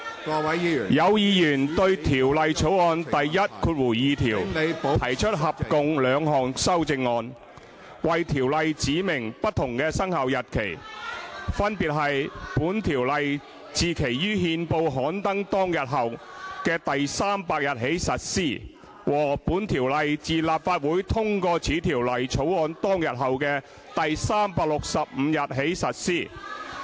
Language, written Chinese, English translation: Cantonese, 有議員對《廣深港高鐵條例草案》第12條提出合共兩項修正案，為條例指明不同的生效日期，分別為"本條例自其於憲報刊登當日後的第300日起實施"和"本條例自立法會通過此條例草案當日後的第365日起實施"。, Members have proposed two amendments in total to clause 12 of the Guangzhou - Shenzhen - Hong Kong Express Rail Link Co - location Bill the Bill stipulating respectively different commencement dates for the Guangzhou - Shenzhen - Hong Kong Express Rail Link Co - location Ordinance namely this Ordinance comes into operation on the 300th day after the day on which this Ordinance is published in the Gazette and this Ordinance comes into operation on the 365th day after the day on which this Ordinance is passed by the Legislative Council